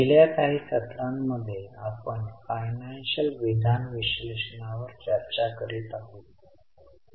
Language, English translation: Marathi, In the last session, in the last session we were discussing case number 2 of cash flow statement